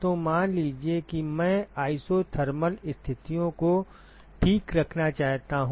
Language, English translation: Hindi, So, supposing I want to maintain isothermal conditions ok